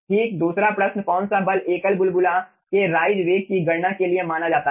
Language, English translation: Hindi, second question: which force is considered for calculation of rise velocity of a single bubble